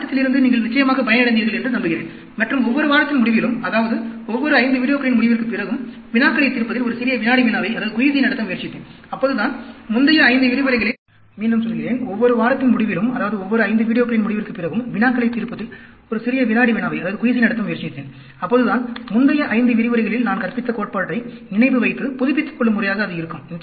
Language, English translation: Tamil, I hope you benefited from the course, and every after end of every week, that is after end of every 5 videos, I also tried to have a small quiz with problems solving, so that, that will brush up the theory which I taught in the previous 5 lectures